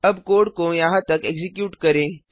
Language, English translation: Hindi, Now lets execute the code till here